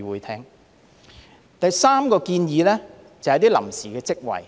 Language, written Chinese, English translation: Cantonese, 第三個建議是設立臨時職位。, The third proposal is about the creation of temporary posts